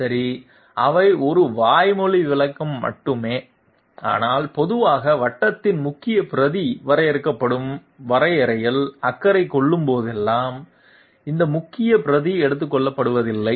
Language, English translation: Tamil, Okay those are you know just a verbal description, but generally whenever the major arc of the circle being defined is concerned in the in the definition, that is not accepted major arc